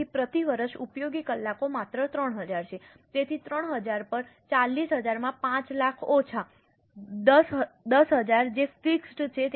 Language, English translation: Gujarati, So, the useful hours per year are only 3,000 so 3,000 upon 40,000 into 50, 5 lakh minus 10,000 which is constant